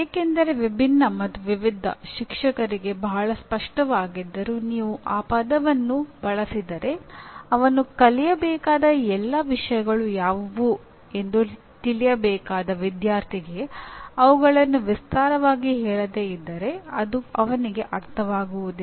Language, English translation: Kannada, Because while “different” and “various” are very clear to the teacher if you use that word the student who is supposed to know what are all the things that he needs to learn unless they are enumerated he will not be able to